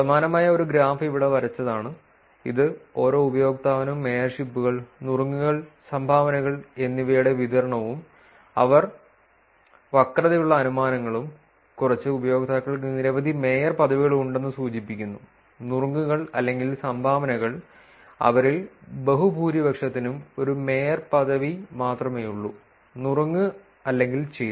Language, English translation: Malayalam, One of the similar type of graph was drawn here which is to see the distribution of mayorships, tips and dones per users and the inferences that they are skewed, with a heavy tail, implying that few users have many mayorships tips or dones, while vast majority of them have only one mayorship, tip or done